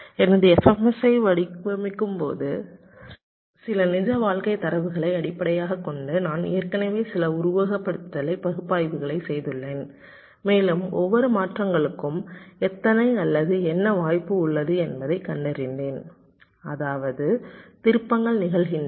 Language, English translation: Tamil, i am assuming that when i have designed my f s m, i have already done some simulation analysis based on some real life kind of data and found out how many or what is the chance of each of the transitions means it turns are occurring